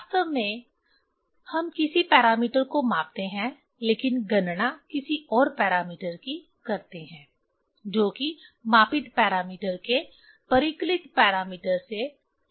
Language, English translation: Hindi, Actually we measure some parameter but calculate something else depending on the relation of the measured parameter with the calculated parameter right